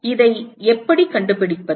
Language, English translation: Tamil, How do we find this